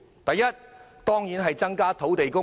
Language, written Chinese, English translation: Cantonese, 第一，增加土地供應。, First to increase the supply of land